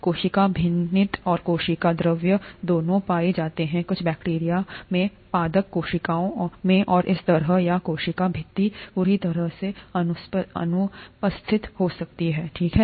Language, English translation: Hindi, The cell wall and the cell membrane both are found in some bacteria in plant cells and so on, or the cell wall could be completely absent, okay